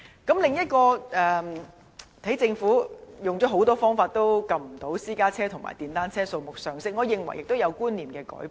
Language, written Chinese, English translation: Cantonese, 此外，政府用了很多方法也未能遏止私家車和電單車數目上升，我認為市民觀念上有所改變。, Furthermore although the Government has taken a number of measures it cannot stop the increase in the numbers of private vehicles and motor cycles . I think there is a change in how people think